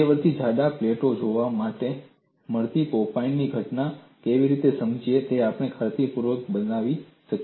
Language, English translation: Gujarati, We have been able to show convincingly, how to explain the phenomenon of pop in that is observed in intermediate thick plates